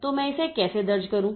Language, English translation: Hindi, So, how do I enter it